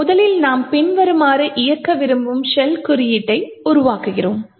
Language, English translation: Tamil, So, first of all we create the shell code that we we want to execute as follows